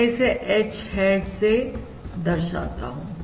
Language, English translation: Hindi, I am going to denote this by H hat